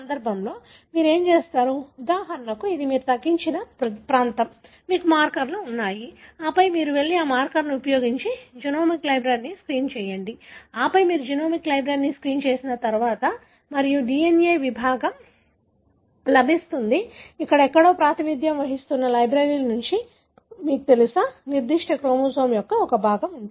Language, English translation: Telugu, What do you do in this case is there for example, this is the region you narrowed down, you have markers and then you go and use this marker to screen the genomic library and then once you screen the genomic library you would get a DNA fragment from a library that represent somewhere here, you know, a fragment of that particular chromosome